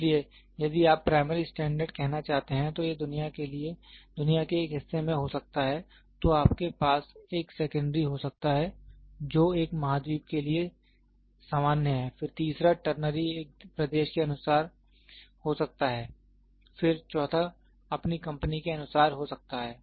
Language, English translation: Hindi, So, if you want to say primary standard, it can be in one part of the world, then you can have a secondary which is common to one continent, then the third one the ternary can be according to a nation, then fourth one can be according to your company